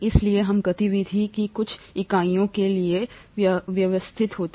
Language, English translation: Hindi, So we settle for something called units of activity